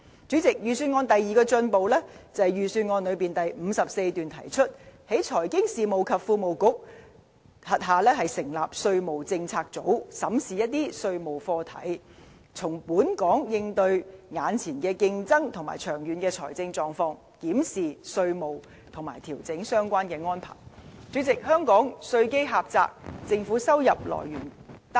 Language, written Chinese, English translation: Cantonese, 主席，預算案第二個進步，是在第54段提出，在財經事務及庫務局轄下成立稅務政策組，審視一些稅務課題，因應本港目前面對的競爭和長遠的財政狀況，檢視稅務和調整相關安排。主席，香港稅基狹窄，政府收入來源單一。, President the second advancement brought about by the Budget is the establishment of the tax policy unit in the Financial Services and the Treasury Bureau as proposed in paragraph 54 with a view to studying certain tax issues while examining and revising relevant taxation arrangements in relation to challenges currently facing Hong Kong and our financial position in the long run